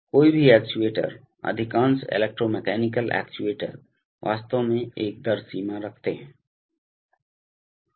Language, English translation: Hindi, Any actuator, most of the electromechanical actuators actually have a rate limit